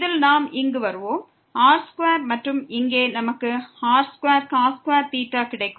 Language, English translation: Tamil, So, here we will get because one r square from here from here